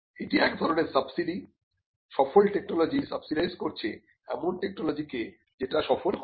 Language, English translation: Bengali, So, its kinds of subsidizes the it is like the successful technology subsidizing the ones that do not become successful